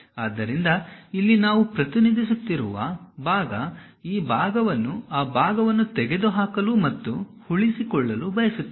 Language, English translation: Kannada, So, here that part we are representing; this part we want to remove and retain that part